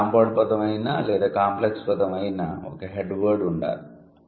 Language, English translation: Telugu, Let's say whether it is a complex word or a compound word, there must be a head word